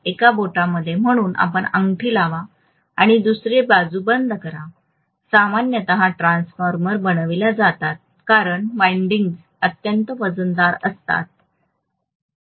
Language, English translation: Marathi, In a finger, so you put the ring and then close the other side, that is how generally the transformers are made because the windings are extremely heavy, that is the reason, got it